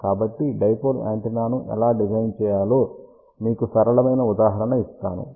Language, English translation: Telugu, So, let me just give you simple example how to design a dipole antenna